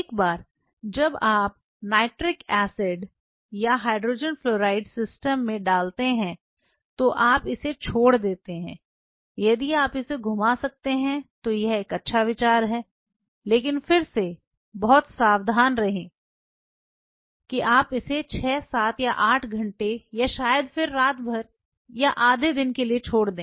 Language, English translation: Hindi, Once you put the nitric acid or hydrogen fluoride into the system you leave it if you can swirl it is a good idea, but be again be very careful you leave it there for 6 7 8 hours or maybe again overnight or half a day